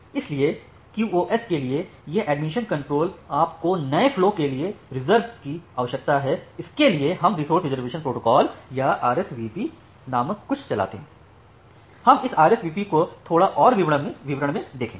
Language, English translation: Hindi, So, this admission control for quality of service you require reservation for the new flows, for that we run something called the resource reservation protocol or RSVP, we will look into this RSVP in little more details